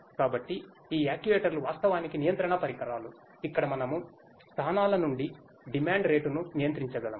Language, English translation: Telugu, So, these actuators are actually control devices where we can where we can control the rate of demand from the locations itself